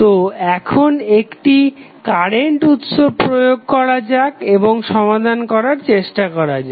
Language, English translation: Bengali, So, now let us apply one current source and try to solve it